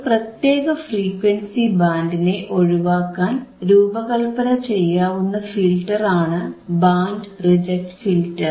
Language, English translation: Malayalam, Band reject filter is the filter that we can designed to reject the band of frequency